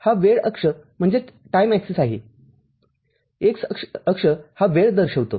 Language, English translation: Marathi, This is the time axis, x axis is the time